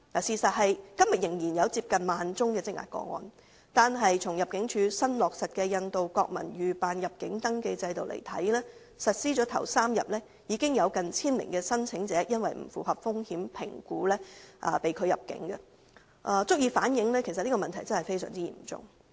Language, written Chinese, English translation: Cantonese, 事實是今天仍有近1萬宗的積壓個案，而僅在入境處新落實的印度國民預辦入境登記制度實施的首3天，已有近千名申請者因不符合風險評估而被拒入境，足以反映這問題真的非常嚴重。, The truth is as at today there is still a backlog of almost 10 000 cases . Just within the first three days of the implementation of the pre - arrival registration system for Indian nationals newly launched by the Immigration Department ImmD nearly 1 000 applicants were refused entry because they could not satisfy the risk assessment thereby reflecting the severity of this problem